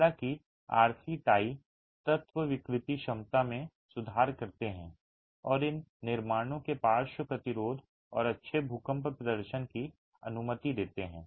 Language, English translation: Hindi, However, the RC tie elements improve the deformation capacity and allow for lateral resistance and good earthquake performance of these constructions